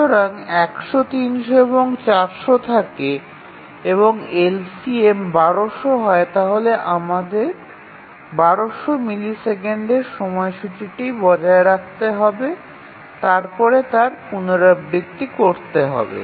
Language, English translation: Bengali, So, 100, 200 and so sorry 100, 300 and 400 the LCM is 1200 and therefore we need to maintain the schedule for 1,200 milliseconds and then keep on repeating that